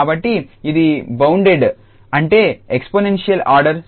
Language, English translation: Telugu, So, it will be bounded, that means the exponential order 0